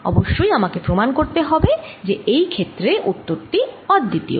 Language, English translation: Bengali, off course, i have to prove that that answer is going to be unique